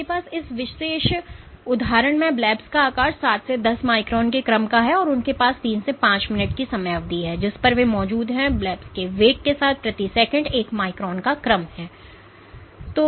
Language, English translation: Hindi, So, you have blebs size in this particular example is of the order of 7 to 10 microns and they have a time period of 3 to 5 minutes over which they exist and of with a velocity of the bleb order one micron per second